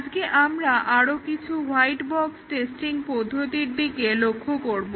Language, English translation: Bengali, Today we will look at few more white box testing techniques